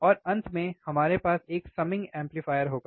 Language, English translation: Hindi, And finally, we will have summing amplifier